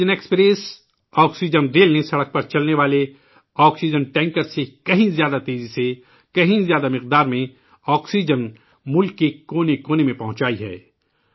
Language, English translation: Urdu, Oxygen Express, oxygen rail has transported larger quantities of oxygen to all corners of the country, faster than oxygen tankers travelling by road